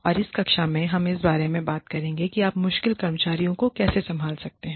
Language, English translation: Hindi, And, in this class, we will talk about, how do you handle difficult employees, who, in the work situation